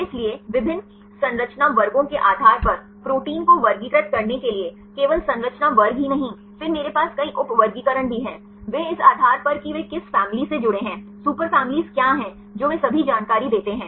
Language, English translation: Hindi, So, to classify the proteins based on different structure classes; not only the just structure classes then I also have several sub classifications, based on the how they fold which family they belong to, what are super families right all the information they give